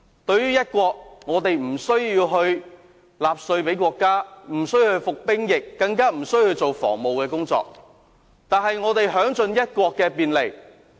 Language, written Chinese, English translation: Cantonese, 在"一國"方面，我們無須向國家繳稅，無須服兵役，無須負責防務工作，卻可享盡"一國"的便利。, Regarding one country we can enjoy the benefits of one country to the fullest without having to pay tax to the country to be called up for military service or to take on defence duties